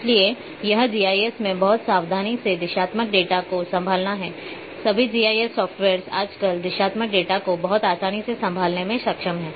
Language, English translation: Hindi, So, it has to be very carefully handled directional data in GIS all modern GIS softwares are nowadays capable to handle directional data very easily